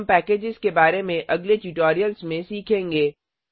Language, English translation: Hindi, We will learn about packages in the later tutorials